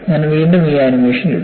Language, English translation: Malayalam, And, I would put this animation again